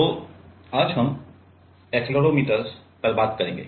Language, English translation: Hindi, So, today we will be talking on Accelerometer